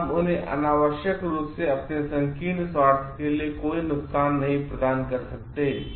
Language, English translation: Hindi, And we cannot provide any harm to them unnecessarily for the ours narrow self interest